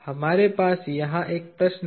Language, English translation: Hindi, We have a question here